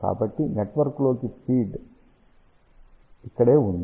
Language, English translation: Telugu, So, this is where the feed in network is there